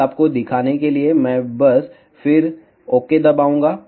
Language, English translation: Hindi, Just to show you, I will just then press ok